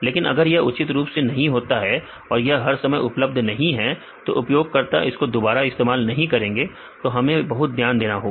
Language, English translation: Hindi, So, otherwise if this not properly maintain or it is not available all the time then the users they do not use it again we have to be very careful